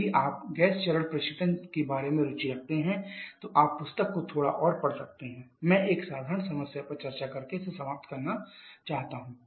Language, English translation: Hindi, If you are interested about the gas phase recreation you can read the books a bit more I would like to finish this one by discussing a simple problem